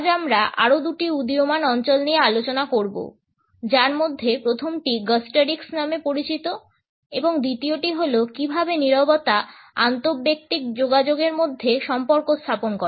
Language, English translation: Bengali, Today, we would look at two other emerging areas which are known as Gustorics and secondly, the study of how Silence communicates in interpersonal communication